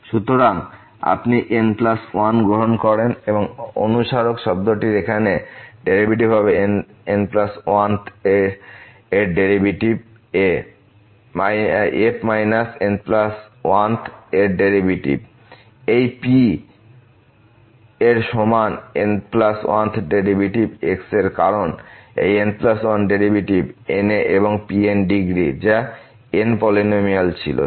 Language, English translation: Bengali, So, if you take the plus 1 and derivative here of this reminder term the plus 1th derivative of this a minus the plus 1th derivative of this is equal to the plus 1th derivative of because the plus 1th derivative of n and was the polynomial of degree n